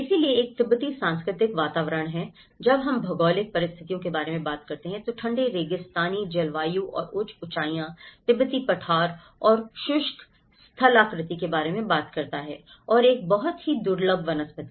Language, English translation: Hindi, So, there is a Tibetan cultural environment, when we talk about the geographic conditions, it talks about the cold desert climate and high altitude, Tibetan plateau and the arid topography and a very scarce vegetation